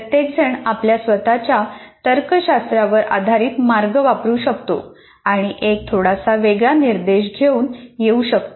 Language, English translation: Marathi, Each one can based on their logic, they can come with a slightly different instruction